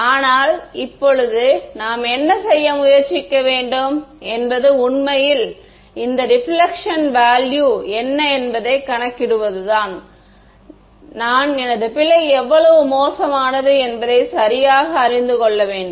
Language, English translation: Tamil, But, now what we should try to do is actually calculate what is a value of this reflection, I should know right how bad is my error